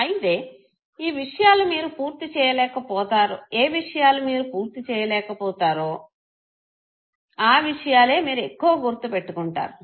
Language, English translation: Telugu, So things that you are not able to complete you would remember it more